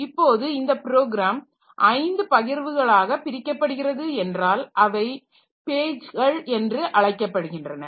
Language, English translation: Tamil, So, so suppose this program is divided into five such partitions which we call page